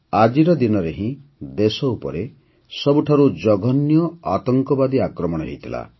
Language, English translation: Odia, It was on this very day that the country had come under the most dastardly terror attack